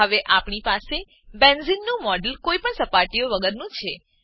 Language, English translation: Gujarati, Now, we have a model of benzene without any surfaces